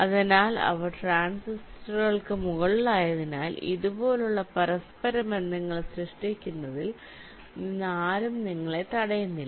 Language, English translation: Malayalam, ok, so because they are above the transistors, so no one is preventing you from creating interconnections like this